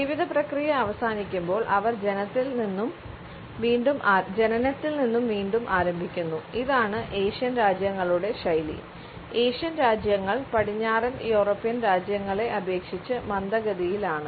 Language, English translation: Malayalam, When the process of life ends the Asian countries will start at birth again, the Asian countries are slower paced and the western European countries